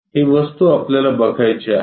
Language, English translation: Marathi, This object we would like to visualize